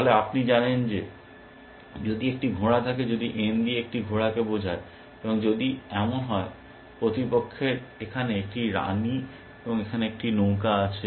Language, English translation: Bengali, Then you know that if there is a knight, if n stands for a knight, and if it is the opponent has a queen here, and a rook here